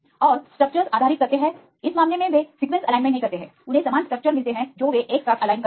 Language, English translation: Hindi, And do the structure based sequence alignment in this case they do not align the sequence wise they get the similar structures they align together